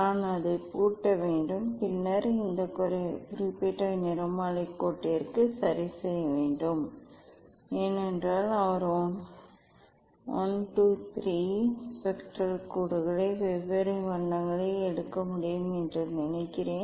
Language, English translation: Tamil, I have to lock it and then set for this particular spectral line ok, note down the colour of that one for I think he can take 1 2 3 spectral lines of different colour